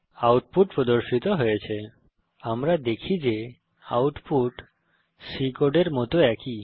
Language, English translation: Bengali, The output is displayed: We see that the output is same as the one in C program